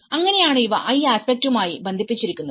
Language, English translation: Malayalam, So, that is how these are linked into this aspect